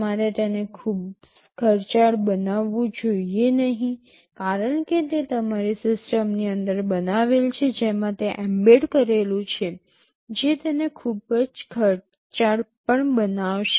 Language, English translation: Gujarati, You should not make it too expensive because that will also make your system inside which it is embedded, it will make that also quite expensive